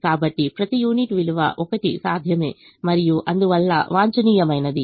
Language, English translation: Telugu, so each unit worth is one feasible and hence optimum